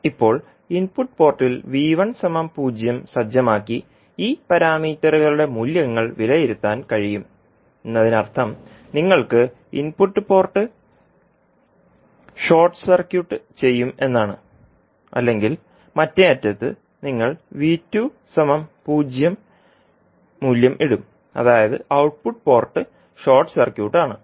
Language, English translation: Malayalam, Now, the values of this parameters can be evaluated by setting V 1 equal to 0 at the input port means you will have the input port short circuited or at the other end you will put the value of V 2 equal to 0 means output port is short circuited